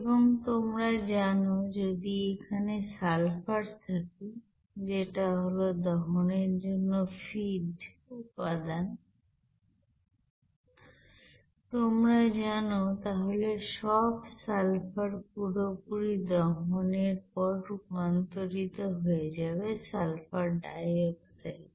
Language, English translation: Bengali, And all the sulfur if it is there in the you know, feed components which are actually to be burned, it will be you know converted to sulfur dioxide after complete combustion